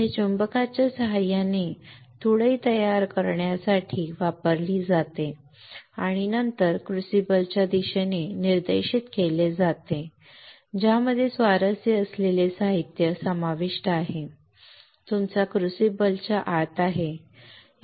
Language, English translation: Marathi, Here with the help of magnets these are used to form a beam and then a directed towards a crucible that contains the materials of material of interest is within your crucible within your crucible, right